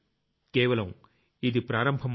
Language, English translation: Telugu, And this is just the beginning